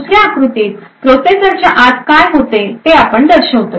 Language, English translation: Marathi, In the second figure what we show is what happens inside the processor